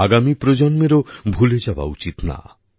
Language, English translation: Bengali, The generations to come should also not forget